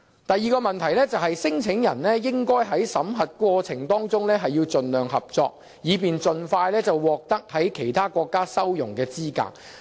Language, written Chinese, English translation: Cantonese, 第二個問題，聲請人應在審核過程中盡量合作，以便盡快獲其他國家收容的資格。, Second claimants should be as cooperative as possible during screening so that they can receive asylum in other countries as soon as possible